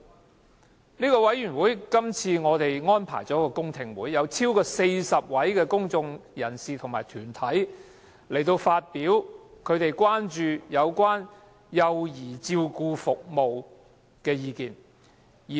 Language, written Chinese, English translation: Cantonese, 我們的小組委員會這次安排了公聽會，邀得逾40位公眾人士和團體參加，就他們關注的幼兒照顧服務相關事宜表達意見。, Our Subcommittee has arranged for a public hearing at the meeting next Monday having invited over 40 members of the public and bodies to participate and express their views on issues related to child care services that are of concern to them